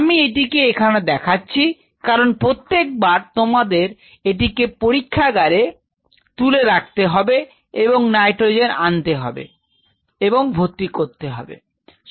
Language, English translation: Bengali, I can keep it here because every time you have to pull this out of the lab or you have to bring the nitrogen can and you know refill that